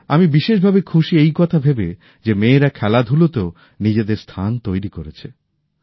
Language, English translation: Bengali, I am especially happy that daughters are making a new place for themselves in sports